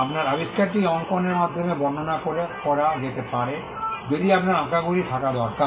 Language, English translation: Bengali, You need to have drawings if your invention can be described through drawings